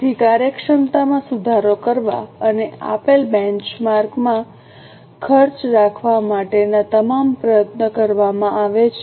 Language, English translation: Gujarati, So, all efforts are made to improve efficiency and to keep costs within the given benchmark